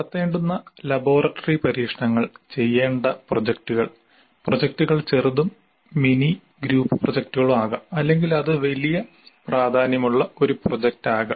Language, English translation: Malayalam, Then laboratory experiments to be conducted, projects to be done, projects could be even small, mini group, mini group projects or it can be a project of major importance